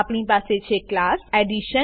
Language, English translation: Gujarati, Then we have class Addition